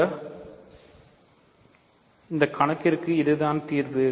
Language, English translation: Tamil, So, this is the solution for this problem